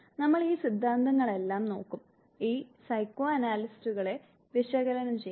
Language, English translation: Malayalam, We would look at all these theories, all these psychoanalyze